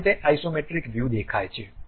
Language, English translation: Gujarati, This is the way the Isometric thing really looks like